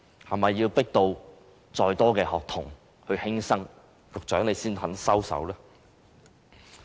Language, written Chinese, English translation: Cantonese, 是否要迫到更多學童輕生，局長才肯收手？, Will the Secretary only stop implementing BCA when more children take their lives because of excessive pressure?